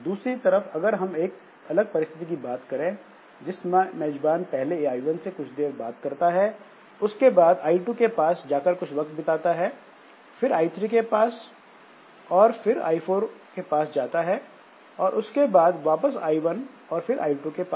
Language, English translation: Hindi, Now suppose we think about a different situation in which this host talks to I1 for some time and then goes to I2, then after some time goes to I3, then after some time I4 and then again goes to say I1 then to I2